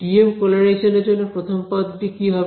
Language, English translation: Bengali, TM polarizations what happens for the first term